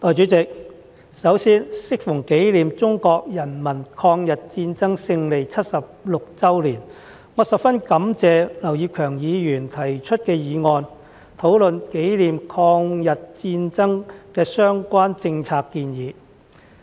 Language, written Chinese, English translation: Cantonese, 代理主席，首先，適逢紀念中國人民抗日戰爭勝利76周年，我十分感謝劉業強議員提出議案，討論紀念抗日戰爭的相關政策建議。, Deputy President first of all on the occasion of the 76th anniversary of victory of the Chinese peoples War of Resistance against Japanese Aggression I am very grateful to Mr Kenneth LAU for moving a motion to discuss the policy proposals relating to the commemoration of the War of Resistance